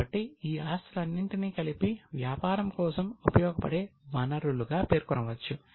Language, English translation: Telugu, So, all these assets together are the resources for the business